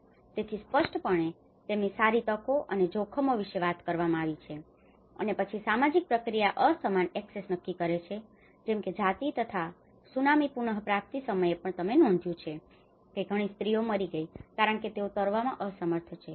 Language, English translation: Gujarati, So, there are obviously talks about their good opportunities and the hazards, and then this social process determines unequal access like for example even the gender and Tsunami recovery time you have noticed that many of the women have died because they are unable to swim